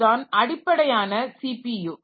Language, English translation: Tamil, So, this is basically the CPU